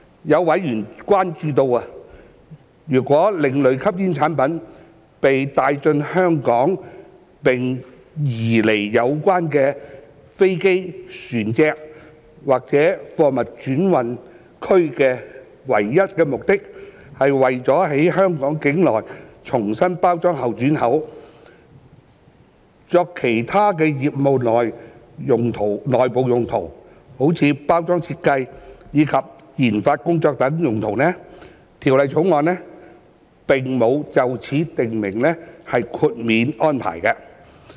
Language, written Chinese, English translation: Cantonese, 有委員關注到，如果另類吸煙產品被帶進香港並被移離有關飛機、船隻或貨物轉運區的唯一目的是為了在香港境內重新包裝後轉口，作其他業務內部用途及研發工作等用途，《條例草案》並無就此訂定豁免安排。, Certain members have expressed concern that no exemption would be provided under the Bill for ASPs that are brought into Hong Kong and removed from the aircraft vessel or air transhipment cargo solely for the purpose of re - exporting them after repackaging within Hong Kong for other businesses in - house use as well as for research and development work